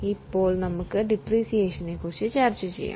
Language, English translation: Malayalam, Now we will discuss about depreciation